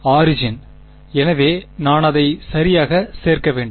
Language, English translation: Tamil, Origin so I should include it right